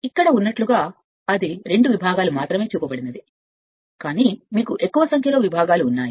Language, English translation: Telugu, If I make it here as you have here it is only two segments, but you have more number of segments